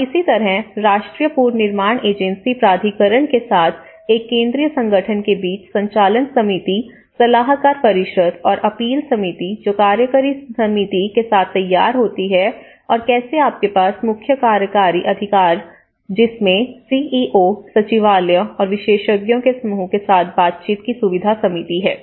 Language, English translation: Hindi, And similarly, with the National Reconstruction Agency Authority, how a central organization, you have the Steering Committee, the Advisory Council and the Appeal Committee that formulates with the Executive Committee and this is how you have the Chief Executing Officer and which have the Facilitation Committee with interaction with the CEO Secretariat and the experts group